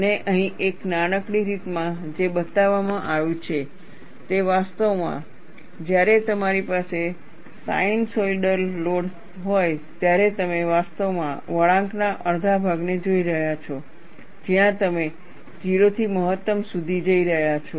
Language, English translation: Gujarati, And what is shown here, in a tiny fashion, is actually, when you have a sinusoidal load, you are actually looking at one half of the curve there, where you are going from 0 to maximum